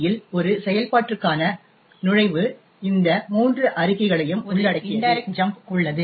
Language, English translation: Tamil, The entry for a function in the PLT comprises of these three statements, first there is an indirect jump